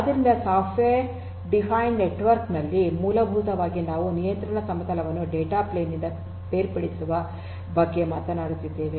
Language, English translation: Kannada, So, in a software defined network essentially we are talking about separating out the control plane from the data plane